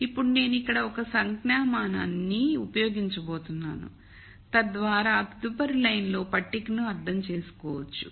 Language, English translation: Telugu, Now, I am going to use one notation here so, that we can understand the table in the next line